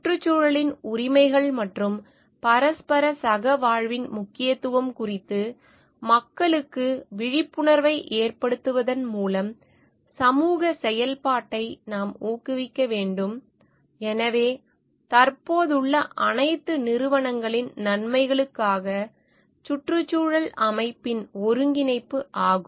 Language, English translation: Tamil, We should promote social activism is to make people aware of the rights of the environment and the importance of the mutual coexistence hence synergy in the ecosystem, for the benefits of all entities present